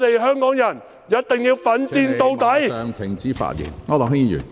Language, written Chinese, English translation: Cantonese, 香港人一定要奮戰到底。, Hongkongers must fight to the bitter end